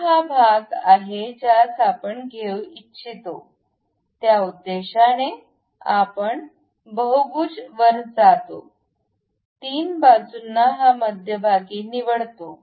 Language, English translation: Marathi, So, this is the portion where we would like to have, for that purpose we go to polygon 3 sides pick this one as center